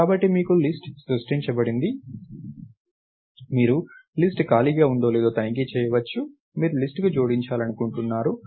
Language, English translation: Telugu, So, you have create list, you may want to check if a list is empty or not, you want to append to a list